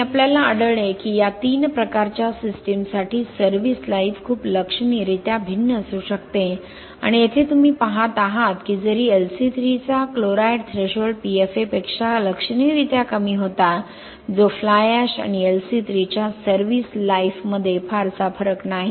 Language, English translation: Marathi, And we found that service life can be very significantly different for these 3 types of systems and so here you look at although the chloride threshold of LC3 was lower than significantly lower than that of PFA that is not much difference between the service life of fly ash and LC3